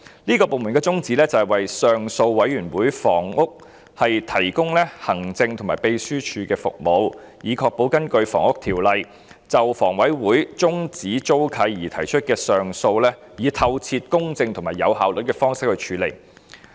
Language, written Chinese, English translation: Cantonese, 這個綱領的宗旨是為上訴委員會提供行政和秘書支援服務，以確保根據《房屋條例》就房委會終止租契而提出的上訴以透徹、公正及有效率的方式處理。, The aim of this Programme is to provide administrative and secretarial support to the Appeal Panel Housing to ensure that appeals lodged under HO against the termination of leases by HA are handled in a thorough impartial and efficient manner